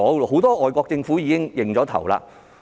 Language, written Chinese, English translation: Cantonese, 很多外國政府已願意承擔。, Many overseas governments have agreed to take up this matter